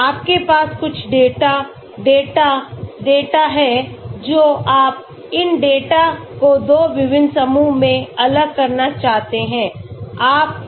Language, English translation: Hindi, you have some data, data, data you want to separate these data into 2 different groups